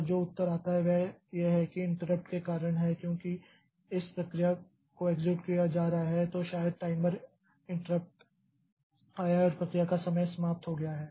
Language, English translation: Hindi, And the answer that comes is this is because of the interrupts because when the process is executing in this may be the timer interrupt came and the time slice of the process has expired